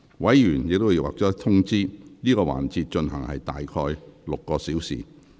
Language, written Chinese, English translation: Cantonese, 委員已獲通知，這個環節會進行約6小時。, Members have already been informed that this session will take about six hours